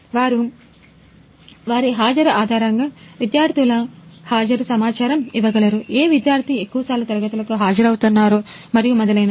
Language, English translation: Telugu, So, that they can judge students based on their attendance like which student is attending classes more frequently and so on ok